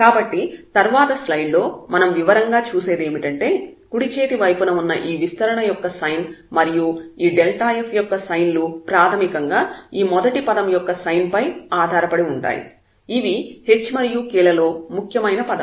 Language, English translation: Telugu, So, what we will also see in the detail in the next slide that the sign of this expansion here in the right hand side the sign of this delta f basically we will depend on the sign of this first term, these are the leading terms here in terms of h and k